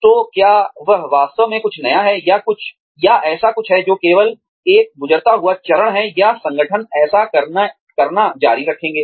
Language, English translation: Hindi, So, is that really something new, or something that is, just a passing phase, or, will organizations, continue to do that